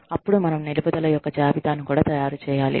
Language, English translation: Telugu, Then, we also make a list of, the retention